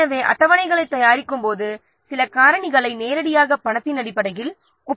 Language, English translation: Tamil, So, some factors of while preparing the schedules, some factors can be directly compared in terms of money